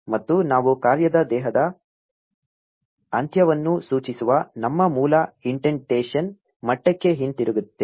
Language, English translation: Kannada, And we get back to our original indentation level indicating the end of the function body